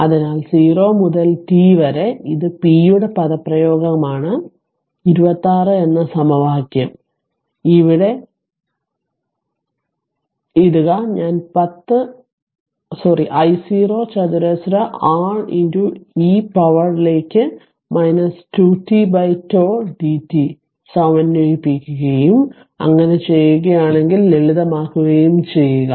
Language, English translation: Malayalam, So, 0 to t and this is the expression for p that is equation 26, you put it here I just I 0 square R into e to the power minus 2 t upon tau ah dt you integrate and simplify if you do so